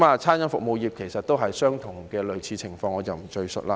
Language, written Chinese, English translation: Cantonese, 餐飲服務業其實也是類似情況，我不贅述了。, The food and beverage service sector is in a similar situation so I will not go into details